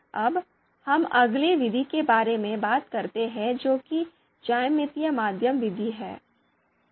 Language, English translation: Hindi, Now let us talk about the next method method that is geometric mean method